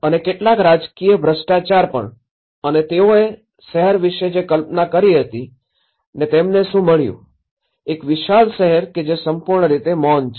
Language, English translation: Gujarati, And also, some political corruptions and what they have envisioned about the city and what they have got is a complete vast scale of a city which is utterly silence